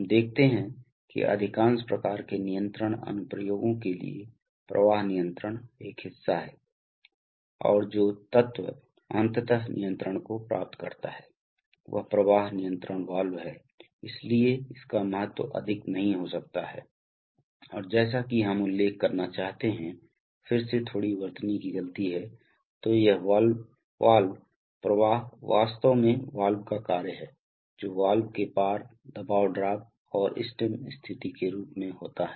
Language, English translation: Hindi, So we see that for most types of control applications flow control is a part and the element that finally achieves the control is the flow control valve, so its importance cannot be overstated and as we shall, as we need to mention, again slight spelling mistake, so this valve flow is actually a function of valve as the pressure drop across the valve and the stem position